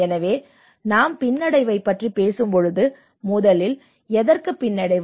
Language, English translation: Tamil, So when we talk about resilience, first of all resilience to what